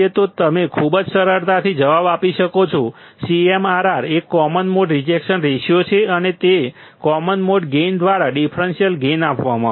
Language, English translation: Gujarati, That you can you can answer very easily, the CMRR is a common mode rejection ration and it is given by differential gain by common mode gain